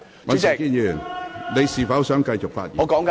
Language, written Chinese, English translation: Cantonese, 尹兆堅議員，你是否想繼續發言？, Mr Andrew WAN do you wish to continue speaking?